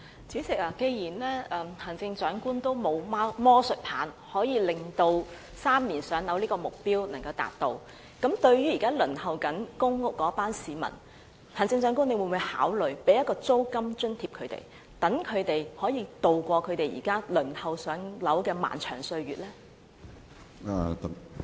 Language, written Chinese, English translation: Cantonese, 主席，既然行政長官也沒有魔術棒能達致3年"上樓"這個目標，對於現時正在輪候公屋的市民，行政長官會否考慮向他們提供租金津貼，讓他們可以渡過現時輪候"上樓"的漫長歲月呢？, President since the Chief Executive does not have a magic wand that can enable her to achieve the target of PRH allocation with three years will she consider providing rental subsidy to the people waiting for PRH units so as to help them survive the long wait?